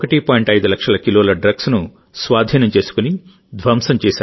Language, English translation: Telugu, 5 lakh kg consignment of drugs, it has been destroyed